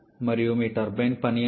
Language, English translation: Telugu, And how much is your turbine work